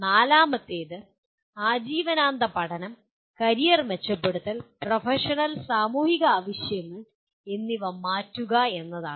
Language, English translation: Malayalam, The fourth one is engage in lifelong learning, career enhancement and adopt to changing professional and societal needs